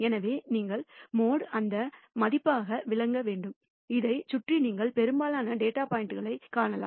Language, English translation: Tamil, So, you should interpret the mode as that value around which you will find most of the data points